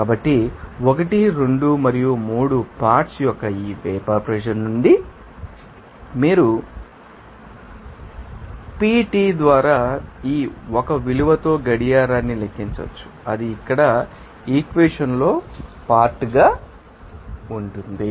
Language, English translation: Telugu, So, from this vapor pressure of components 1 2 and 3, you can you know calculate watch with this value of 1 by PT that will be as part this equation here